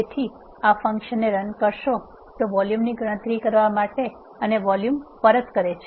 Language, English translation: Gujarati, So, this will run the function to calculate the volume and returns the volume